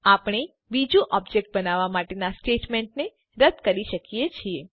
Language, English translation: Gujarati, We can remove the statement for creating the second object